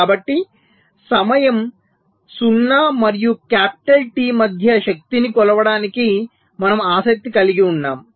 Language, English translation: Telugu, so we are interested to measure the power between time zero and capital t